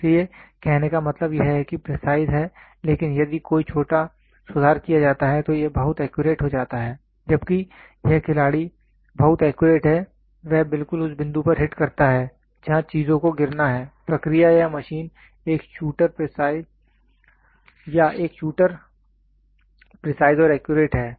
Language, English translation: Hindi, So; that means to say he is precise, but if there is a small correction made then it becomes very accurate, whereas, this player is very accurate he exactly hits at the point where things have to fall here, the process or the machine or a shooter is precise and accurate